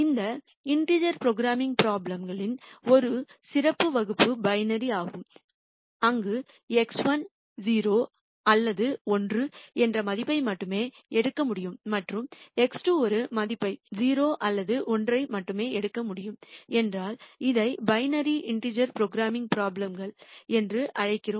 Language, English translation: Tamil, One special class of these integer programming problems are binary where if X 1 could only take a value which is 0 or 1 and X 2 could take a value only 0 or 1 we call this as binary integer programming problems